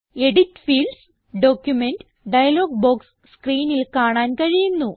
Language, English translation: Malayalam, We see that the Edit Fields: Document dialog box appears on the screen